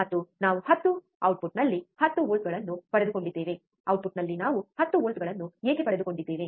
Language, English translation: Kannada, And we got 10 volts at the output, why we got 10 volts at the output